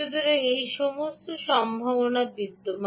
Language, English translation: Bengali, all this is actually possible